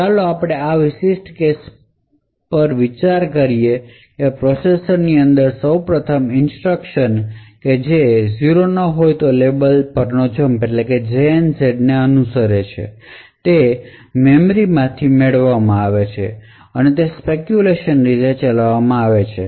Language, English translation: Gujarati, So, let us consider this particular case, so first of all within the processor the instructions that is following these jump on no 0 would get fetched from the memory and it will be speculatively executed